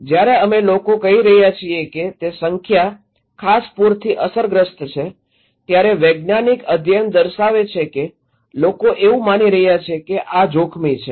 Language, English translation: Gujarati, When we are saying to the people that that number of people are affected by particular flood, the scientific studies are showing that people are not perceiving, believing that this is risky